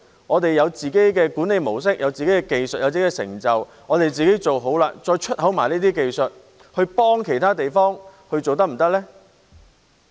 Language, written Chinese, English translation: Cantonese, 我們有了自己的管理模式、技術和成就，自己做好了，再一併輸出這些技術，協助其他地方，是否可行呢？, Is it feasible for us to secure our own management model technologies and achievements and then export such technologies altogether to assist other places?